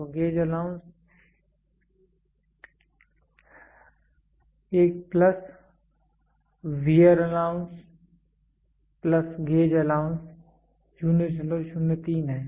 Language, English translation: Hindi, So, gauge allowance is also one plus wear allowance plus gauge allowance 0